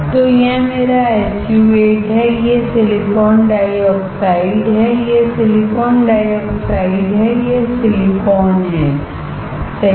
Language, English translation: Hindi, So, this is my SU 8, this is silicon dioxide, this is silicon dioxide, this is silicon, right and this is my well, right